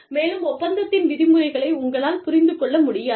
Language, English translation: Tamil, And, you are not able to understand, the terms of the contract